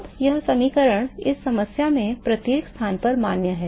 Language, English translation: Hindi, Now, this equation is valid at every location in the in this problem